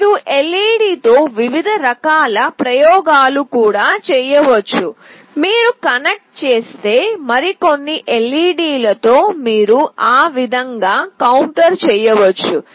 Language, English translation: Telugu, You can also make different various kinds of experiments with LED, with few more LED’s if you connect, you can make a counter that way